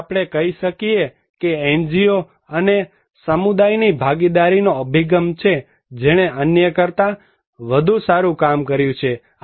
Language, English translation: Gujarati, So, we can say that it is the community NGO partnership approach that worked much better than others